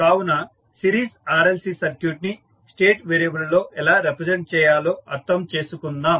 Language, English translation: Telugu, So, let us understand how we can represent that series RLC circuit into state variables